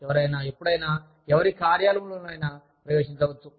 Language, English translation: Telugu, Anybody can walk into, anyone's office, at any point of time